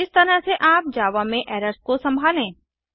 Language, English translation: Hindi, This is how you handle errors in java